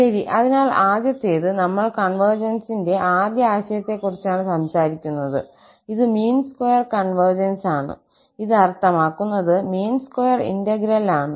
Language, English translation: Malayalam, Well, so the first one, we are talking about the first notion of the convergence, this is mean square convergence, and this mean square convergence is in the sense of the integral